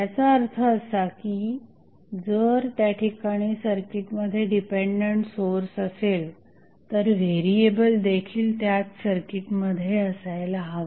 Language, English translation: Marathi, That means if there is a dependent source in the circuit, the variable should also be in the same circuit